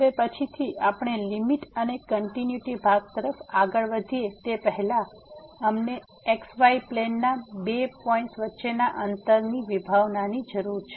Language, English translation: Gujarati, Now, before we move to the limit and continuity part later on, we need the concept of the distance between the two points in plane